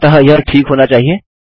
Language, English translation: Hindi, So that should be fine